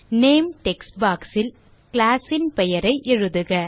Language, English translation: Tamil, In the Name text box, type the name of the class